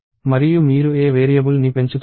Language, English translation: Telugu, And which variable are you incrementing